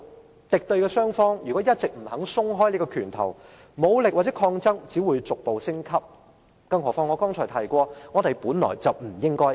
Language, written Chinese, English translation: Cantonese, 如果敵對雙方一直不肯鬆開拳頭，武力或抗爭只會逐步升級，何況我剛才提過，我們本來不應是敵人。, If the rivalling camps refuse to loosen their fists the use of force or fights will only escalate not to mention as I said earlier we are not supposed to be rivals